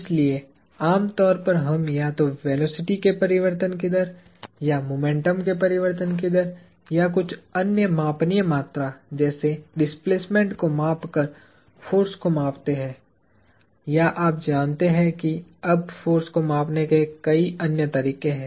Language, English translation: Hindi, So, typically, we measure force by measuring either rate of change of velocity or rate of change of momentum or some other measurable quantities such as displacement or you know there are many other ways of measuring force now